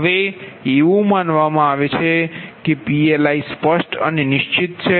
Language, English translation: Gujarati, now it is assumed that pli are specified and fixed